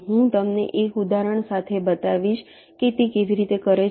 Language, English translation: Gujarati, i shall show you with an example how it does